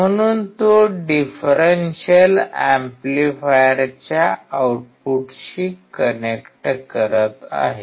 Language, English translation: Marathi, So he is connecting to the output of the differential amplifier